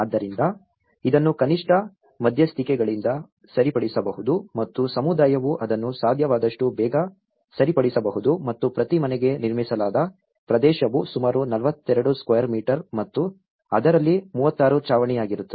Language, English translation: Kannada, So that it could be repaired by minimal interventions and the community themselves can repair it as quickly as possible and the constructed area per house was about 42 square meter and 36 of which would be roof